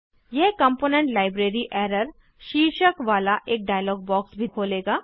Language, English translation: Hindi, It will also open a dialog box titled Component Library Error